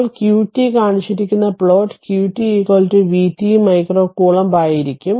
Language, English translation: Malayalam, Now, plot of q t shown look the plot of q t will be q t is equal to v t micro coulomb right